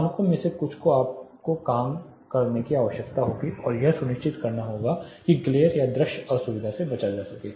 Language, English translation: Hindi, Some of the standards will require you to work around and ensure the glare are visual discomfort is avoided